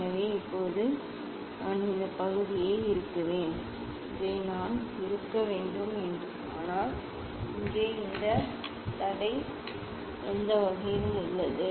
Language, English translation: Tamil, So now, I will just tighten this part I should tighten this one, but here there is this obstacle any way